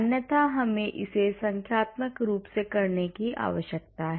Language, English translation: Hindi, Otherwise, we need to do it numerically